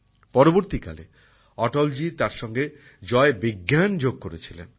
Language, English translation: Bengali, Later, Atal ji had also added Jai Vigyan to it